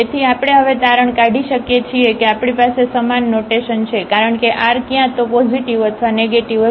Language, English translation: Gujarati, So, we can conclude now that we have the same sign because r will have either positive or negative